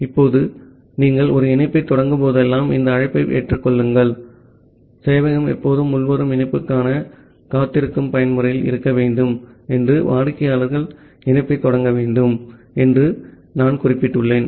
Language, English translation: Tamil, Now, this accept call whenever you are initiating a connection as I have mentioned that the server need to always in the mode where it is waiting for any incoming connection and the clients need to initiate the connection